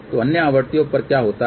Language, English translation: Hindi, So, what happens at other frequencies